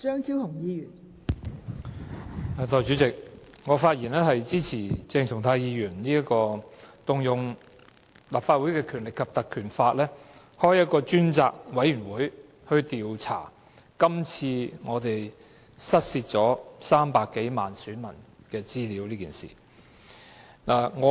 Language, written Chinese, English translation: Cantonese, 代理主席，我發言支持鄭松泰議員根據《立法會條例》動議議案，成立專責委員會調查失竊300多萬選民資料一事。, Deputy President I speak in support of Dr CHENG Chung - tais motion under the Legislative Council Ordinance which seeks to appoint a select committee to inquire into the loss of personal data of over 3 million electors